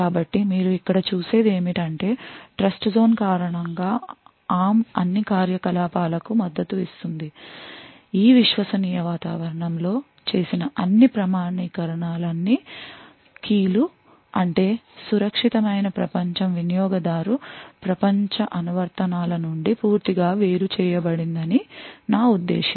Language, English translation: Telugu, So what you see over here is that because of the Trustzone which is supported by the ARM all the activities all the keys all the authentication which is done in this trusted environment I mean the secure world is completely isolated from the user world applications